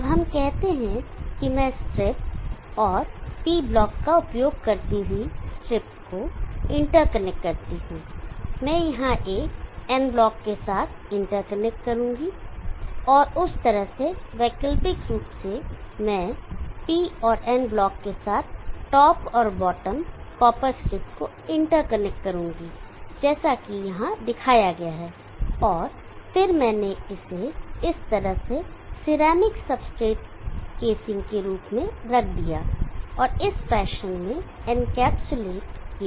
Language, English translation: Hindi, Now let them be copper strips now these two copper strips sets of copper strips will be inter connected with blocks of semi conductor material, now let us say I inter connect this strip and the strip using a P block I will interconnect here with and N block and like that alternatively I will interconnect the top and the bottom copper strip with EN, N block as shown here and then let me put as ceramic substrate casing like this and encapsulated in this fashion